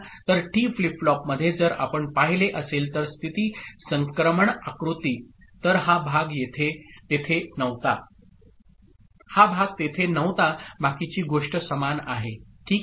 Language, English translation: Marathi, So in the T flip flop, the state transition diagram, if you had seen, so this part was not there